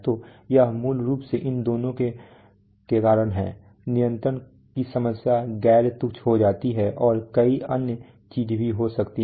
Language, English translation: Hindi, So it is basically because of these two that the control problem becomes non trivial plus many other things may happen